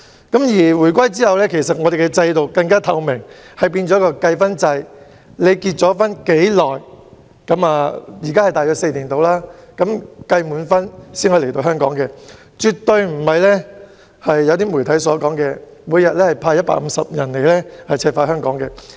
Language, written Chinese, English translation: Cantonese, 自回歸後，單程證制度更加透明，變成計分制，現在大約是結婚4年計5分，達到一定分數才能來港，絕對不是部分媒體所說，由中央每天派150人來赤化香港。, After the reunification the OWP scheme has become even more transparent . It is now based on a point - based system under which about five points will be awarded to a four - year marriage and a Mainlander can only come to Hong Kong on crossing a certain threshold of points . It is definitely not the case as described by some media that the Central Authorities send 150 people to Hong Kong daily in order to turn Hong Kong red